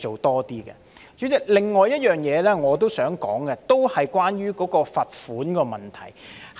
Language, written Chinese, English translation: Cantonese, 代理主席，另一點我想說的，同樣是關於罰款的問題。, Deputy Chairman another point I would like to raise is also about the fines